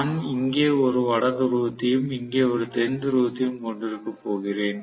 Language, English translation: Tamil, So, I am going to have probably North Pole here and South Pole here